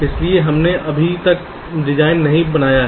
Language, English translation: Hindi, we are yet to carry out the design